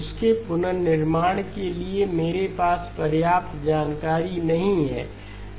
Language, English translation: Hindi, I do not have enough information to reconstruct that